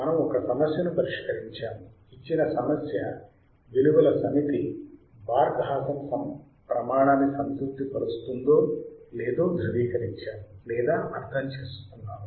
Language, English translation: Telugu, And we have also solved a problem to understand or verify whether the problem the given set of values the problem satisfies the Barkhausen criterion or not right